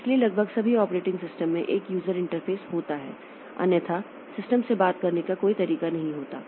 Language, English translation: Hindi, So, almost all operating systems have a user interface because otherwise there is no chance to talk to the system